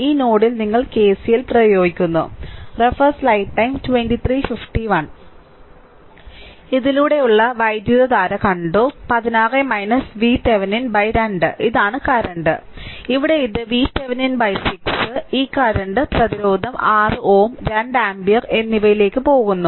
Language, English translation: Malayalam, So, current through this, we just saw 16 minus V Thevenin divided by 2; this is the current going and here it is going V Thevenin divided by 6 right, this current resistance 6 ohm and 2 ampere